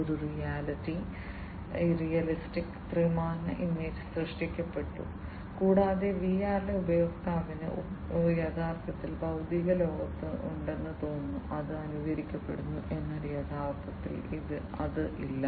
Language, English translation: Malayalam, A realistic three dimensional image is created and the user in VR feels that the user is actually present in the physical world, which is being simulated, but is actually not being present